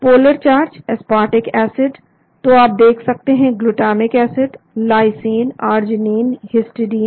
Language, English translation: Hindi, Polar charged: aspartic acid , so you can see glutamic acid, lysine, arginine, histidine